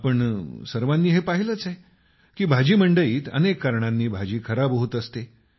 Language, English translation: Marathi, All of us have seen that in vegetable markets, a lot of produce gets spoilt for a variety of reasons